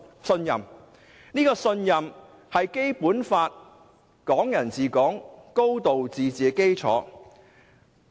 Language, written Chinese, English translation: Cantonese, 信任是《基本法》、"港人治港"、"高度自治"的基礎。, Trust is the basis for the Basic Law Hong Kong people ruling Hong Kong and a high degree of autonomy